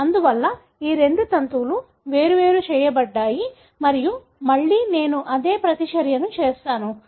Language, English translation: Telugu, Therefore, these two strands separated and again I do the same reaction